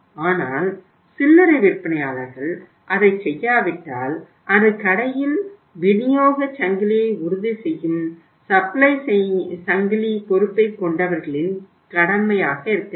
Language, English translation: Tamil, But if retailers will not do it then it should be the say uh duty of the supply chain people who are ensuring the supply chain in the store, not the responsibility of the store people